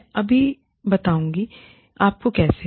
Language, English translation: Hindi, I will just tell you, how